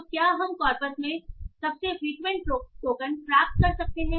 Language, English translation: Hindi, So, can we get the most frequent tokens in the corpus